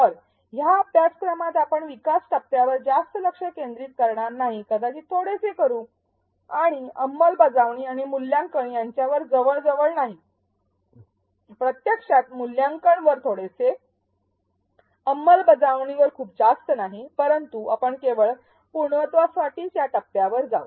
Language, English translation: Marathi, So, this course we will not focus too much on the develop phase maybe a little bit and almost not at all on the implement and evaluate; actually a little bit on the evaluate, but not so much on the implement, but we just for completion sake of completeness, we will go through these phases